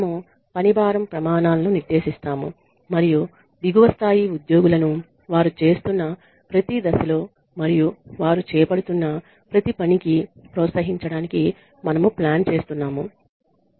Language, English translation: Telugu, We set the workload standards and we plan to incentivize lower level employees at every stage of the work that they are doing and for every function that they are undertaking